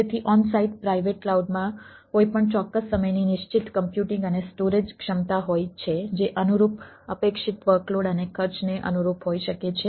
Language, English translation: Gujarati, so as onsite private cloud, any specific time, has a fixed computing and storage capacity that can be sized to corresponding correspond to the anticipated work loads and cost